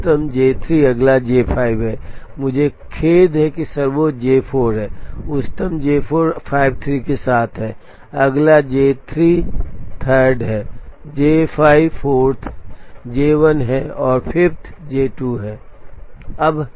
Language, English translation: Hindi, So, the highest is J 3 the next is J 5 I am sorry the highest is J 4, the highest is J 4 with 53, the next is J 3 the 3'rd is J 5 the 4'th is J 1 and the 5'th is J 2